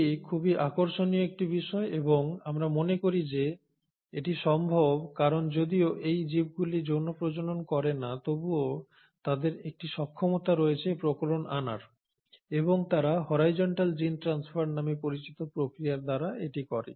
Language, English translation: Bengali, Now that is a very interesting thing to look at and the reason we think it is possible is because though these organisms do not reproduce sexually they do have a potential to acquire variation and they do this by the process called as horizontal gene transfer